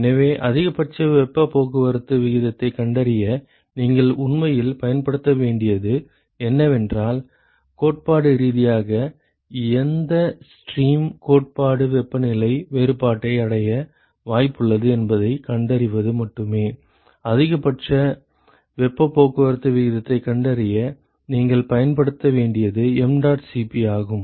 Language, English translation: Tamil, So, really what you need to use to find the maximum heat transport rate is find out theoretically as to which stream is likely to achieve the theoretical temperature difference only that streams mdot Cp is what you have to use to find out the maximal heat transport rate ok